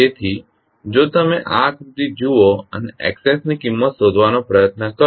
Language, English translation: Gujarati, So, if you see this figure and try to find out the value of Xs